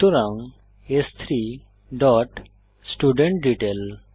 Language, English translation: Bengali, So s3 dot studentDetail